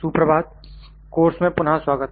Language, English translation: Hindi, Good morning, welcome back to the course